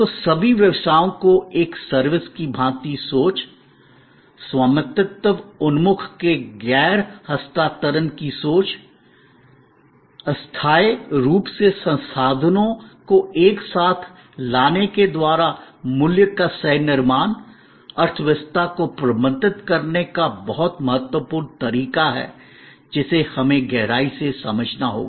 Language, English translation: Hindi, So, thinking of all businesses, a service, thinking of non transfer of ownership oriented, co creation of value by bringing temporarily resources together expertise together is very important way of managing the economy that we have to understand in depth